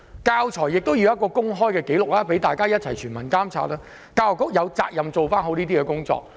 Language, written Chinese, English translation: Cantonese, 教材亦要有公開紀錄，讓全民一同監察，而教育局有責任做好相關工作。, Teaching materials should also be made available for public inspection . The Education Bureau should discharge their relevant duties properly